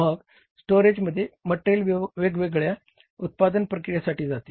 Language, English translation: Marathi, Then from the storage the material goes up to the different manufacturing processes